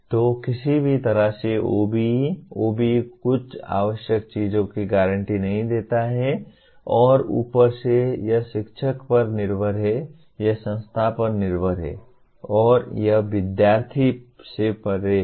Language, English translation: Hindi, So in no way OBE, OBE guarantees some essential things and above that it is up to the teacher, it is up to the institution, it is up to the students to explore beyond that